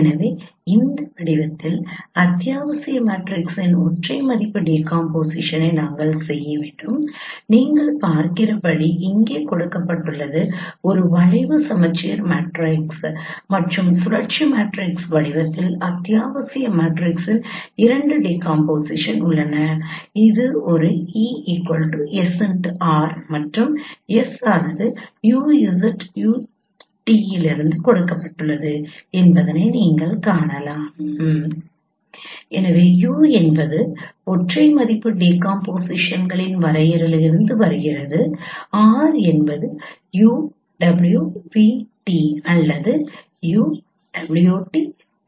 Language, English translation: Tamil, So, you we have to perform singular value decomposition of essential matrix in this form what is given here as you can see and there are two possible decomposition of essential matrix in the form of a skew symmetric matrix and rotational matrix where you can see that it's say this e equal to sr and s is given in this form u z u t u transpose so u comes from the definition of the singular value decomposions and r is u w v transpose or u w t v transpose and you can find out the form of z and w so this is one particular solutions you need to perform the singular value decompositions and then Z and W they are well defined and you can get the corresponding matrices